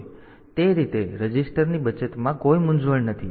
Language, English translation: Gujarati, So, that way there is no confusion in the saving of registers